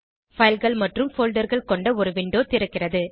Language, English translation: Tamil, A window with files and folders opens